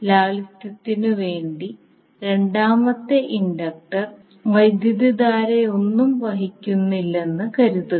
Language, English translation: Malayalam, For the sake of simplicity let us assume that the second inductor carries no current